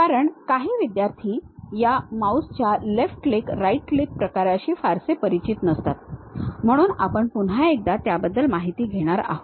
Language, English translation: Marathi, ah Because uh some of the students are not pretty familiar with this mouse left click, right click kind of thing, so we are going to recap those information